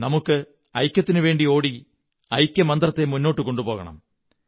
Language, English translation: Malayalam, We also have to run for unity in order to promote the mantra of unity